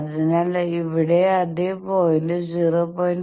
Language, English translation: Malayalam, So, here you see the same point is getting located 0